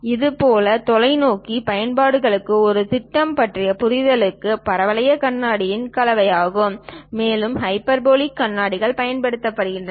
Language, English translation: Tamil, Similarly, for telescopic applications and understanding about plan is a combination of parabolic mirrors and also hyperbolic mirrors will be used